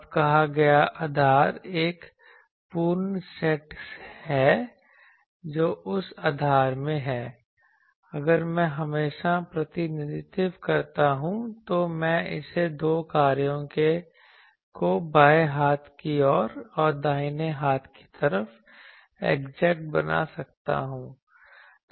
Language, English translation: Hindi, Now basis said is a complete set that in that basis if I represent always I can make it the two functions left hand side and right hand side get exact